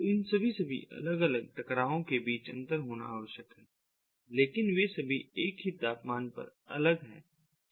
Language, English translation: Hindi, so there has to be interoperability between all these different colossians, but they are all different to the same temperature, right